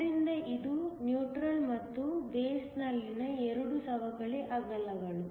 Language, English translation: Kannada, So, this is the neutral plus the two depletion widths in the base